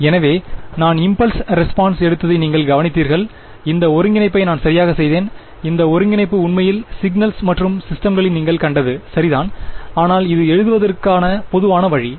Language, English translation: Tamil, So, you notice I took the impulse response and I did this integration right this integration is actually what you have seen in signals and systems to be convolution ok, but this is the more general way of writing it